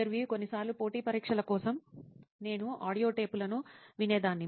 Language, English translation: Telugu, Also sometimes maybe like competitive exams, I used to listen to the audio tapes maybe